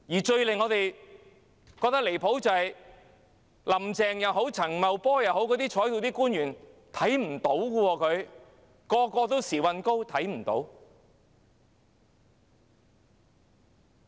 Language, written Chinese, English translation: Cantonese, 最令我們感到離譜的是，無論是"林鄭"、陳茂波、各在席官員，全部都"時運高"，完全看不到。, I find it most outrageous that all senior officials including Carrie LAM Paul CHAN and public officers present here are so lucky that they can see nothing